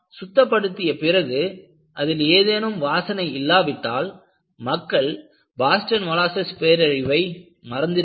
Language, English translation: Tamil, Not only this, after cleaning if there is no smell, people would have forgotten Boston molasses disaster